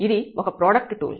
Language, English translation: Telugu, So, this is a product tool